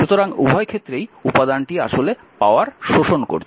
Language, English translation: Bengali, So, both the cases element actually is absorbing the power right